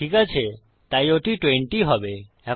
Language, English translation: Bengali, Okay, so that will be 20